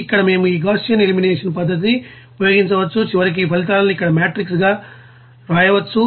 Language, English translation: Telugu, Like this here we can you know use this Gaussian elimination method and finally we can write these results as a matrix here